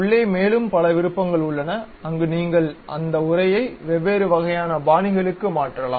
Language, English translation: Tamil, There are many more options also internally where you can change that text to different kind of styles